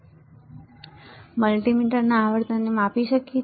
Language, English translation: Gujarati, Now, can this multimeter measure frequency